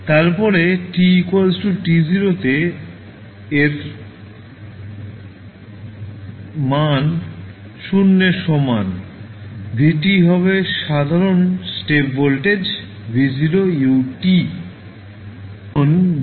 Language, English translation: Bengali, Then, if t is equal to 0 t naught is equal to 0 vt is simply the step voltage v naught ut